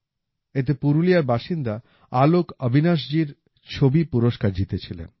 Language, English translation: Bengali, In this, the picture by AlokAvinash ji, resident of Purulia, won an award